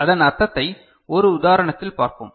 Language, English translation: Tamil, So, let us just look at an example what it means